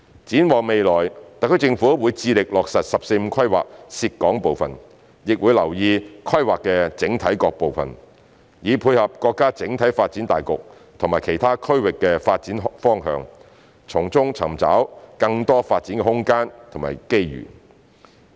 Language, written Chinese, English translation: Cantonese, 展望未來，特區政府會致力落實"十四五"規劃涉港部分，亦會留意規劃的整體各部分，以配合國家整體發展大局及其他區域的發展方向，從中尋找更多發展空間及機遇。, Looking ahead the SAR Government will endeavour to implement the part of the 14th Five - Year Plan that relates to Hong Kong and will also pay attention to various parts of the Plan so as to tie in with the overall development of the country as well as the development directions of other regions thereby identifying more room and opportunities for development